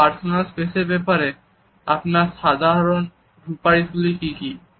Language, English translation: Bengali, So, what is your general recommendation when it comes to personal space